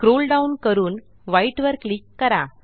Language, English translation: Marathi, Scroll down and click on white